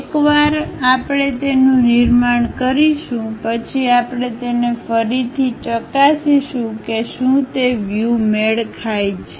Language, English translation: Gujarati, Once we construct that, we have to re verify it whether that is matching the views